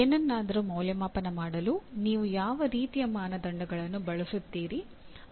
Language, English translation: Kannada, What kind of criteria do you use for evaluating something